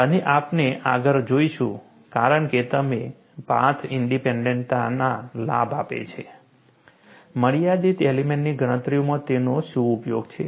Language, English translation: Gujarati, And, you would see further, because I have advantage of path independence, what is the use of it, in finite element calculations